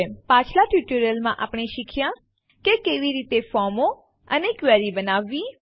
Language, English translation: Gujarati, We learnt how to create forms and queries in the previous tutorials